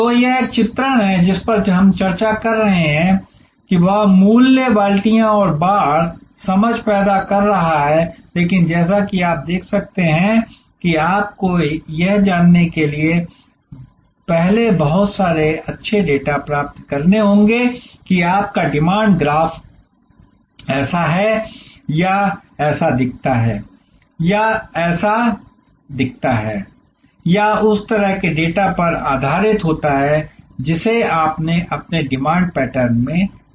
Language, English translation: Hindi, So, this is a depiction of what we have been discussing; that is creating price buckets and fences, understanding, but as you can see you have to create first get a lot of good data to know whether your demand graph looks like this or it looks like this, or it looks like this; that is based on the kind of data that you have seen of your demand pattern